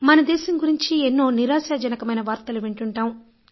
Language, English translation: Telugu, Sometimes we hear disappointing news about our nation